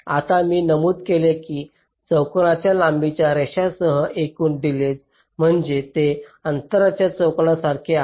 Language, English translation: Marathi, now i mentioned that the total delay along a line this quadratic in length, which means it is proportional to the square of the distance